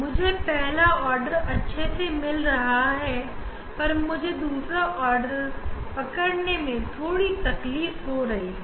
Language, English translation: Hindi, I am getting first order nicely, but I am facing difficult to catch the second order